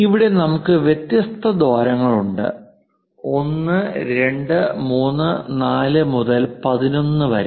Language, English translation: Malayalam, Here we have different holes; 1, 2, 3, 4, perhaps 5, 6 and so on… 11